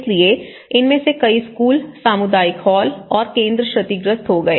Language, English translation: Hindi, So, many of these schools were damaged and many of the community halls, community centers have been damaged